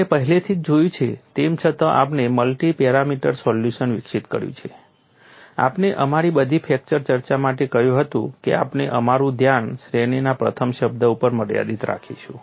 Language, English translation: Gujarati, We have already seen, though we have developed the multi parameter solution, we set for all our fracture discussion; we would confine our attention to the first term in the series